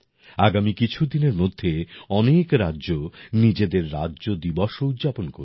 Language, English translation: Bengali, In the coming days, many states will also celebrate their Statehood day